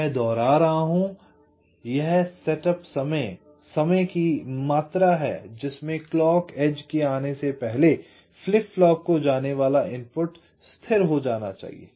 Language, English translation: Hindi, this is the amount of time the input to a flip flop must be stable before the clock edge appears